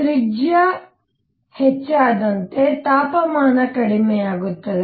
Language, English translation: Kannada, As the radius goes up, the temperature comes down